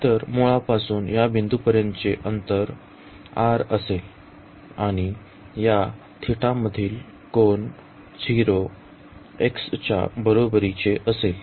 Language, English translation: Marathi, So, the distance from the origin to this point will be r, and the angle from this theta is equal to 0 x s will be theta